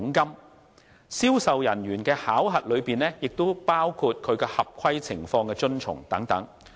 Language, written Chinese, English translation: Cantonese, 而銷售人員的考核中，也包括其合規情況等。, As for sales staff appraisal compliance is also included